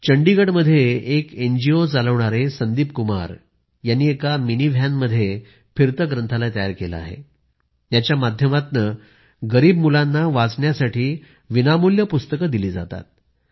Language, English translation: Marathi, In Chandigarh, Sandeep Kumar who runs an NGO has set up a mobile library in a mini van, through which, poor children are given books to read free of cost